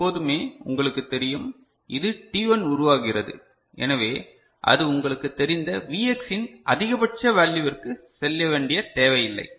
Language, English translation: Tamil, Because we are always you know, this making t1, so it is not need to go to the you know, the maximum value of the Vx